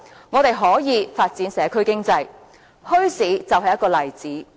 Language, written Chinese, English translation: Cantonese, 我們可以發展社區經濟，而墟市就是一個例子。, Well we can actually develop the local community economy one example being the development of bazaars